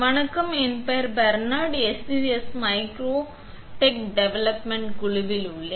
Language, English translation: Tamil, Hello, my name is Bernard from the SUSS Micro Tec development team